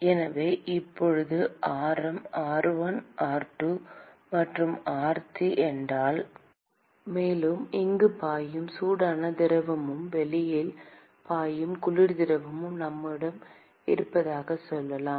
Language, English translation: Tamil, So, now if radius is r1, r2 and r3; and let us say we have hot fluid which is flowing here and the cold fluid which is flowing outside